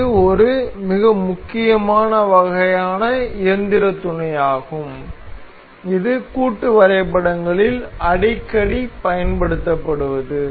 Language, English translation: Tamil, This is a very important kind of mechanical mate very frequently used in assemblies